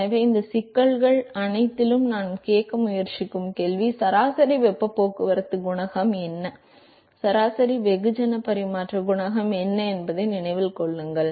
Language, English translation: Tamil, So, remember that the question that we are trying to ask in all of these problemses what is the average heat transport coefficient, what is the average mass transfer coefficient